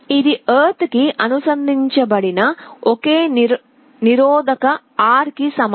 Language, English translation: Telugu, This is equivalent to a single resistance R connected to ground